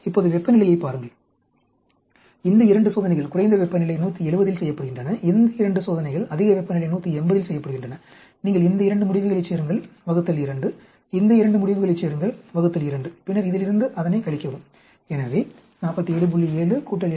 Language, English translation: Tamil, Now look at temperature these 2 experiments are done at lower temperature 170, these 2 are done at higher temperature 180 you add up these 2 results divided by 2, add up these 2 results divided by 2 and then subtract this from that so 47